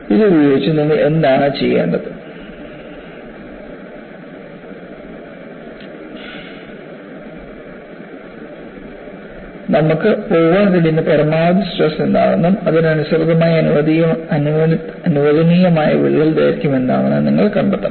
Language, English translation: Malayalam, So, using this, what you want to do is, you want to find out what is the maximum stress that you can go, and what is the corresponding permissible crack length